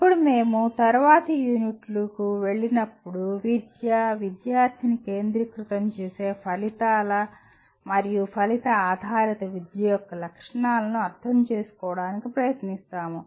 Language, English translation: Telugu, Now when we go to the next unit, we attempt to now understand the features of outcomes and outcome based education that make the education student centric